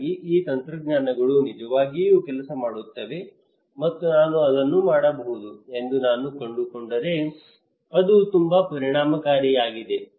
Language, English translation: Kannada, So if I found that these technologies really work and I can do it is very effective